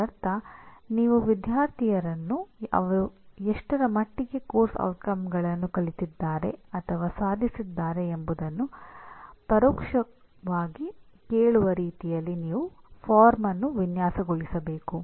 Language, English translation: Kannada, That means you have to design a form in such a way that you indirectly ask the student to what extent he has learnt or he has attained the course outcomes